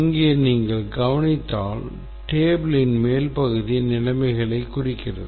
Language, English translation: Tamil, So, here if you notice that the upper part of the table, this represents the conditions